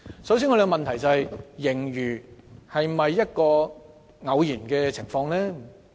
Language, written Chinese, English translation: Cantonese, 首先，我們的問題是盈餘是否一種偶然情況呢？, The first question we wish to ask is whether the surplus is occasional in nature